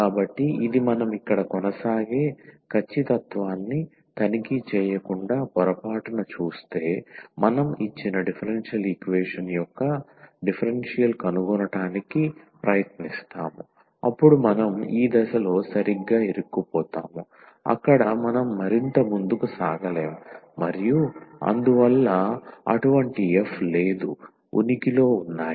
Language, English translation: Telugu, So, this was just to demonstrate that if by mistake without checking the exactness we proceed here we try to find such a f whose differential is this given differential equation then we will stuck exactly at this point where we cannot proceed further and hence such f does not exist